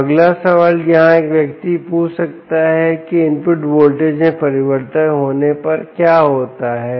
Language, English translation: Hindi, so the next question one can ask here is that what happens if the input voltage changes